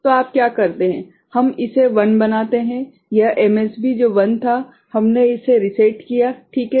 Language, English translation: Hindi, So, what do you do, we make this 1; this MSB which was 1 we reset it ok